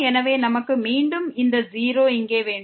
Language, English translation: Tamil, So, we have here again this 0